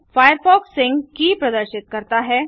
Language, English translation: Hindi, Firefox displays the sync key